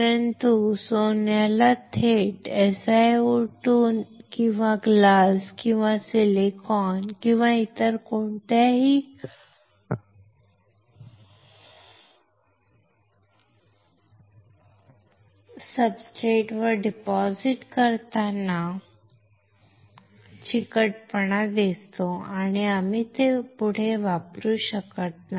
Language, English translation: Marathi, But Gold has poor adhesion when directly deposited on SiO2 or glass or silicon or any other substrate and we cannot use it further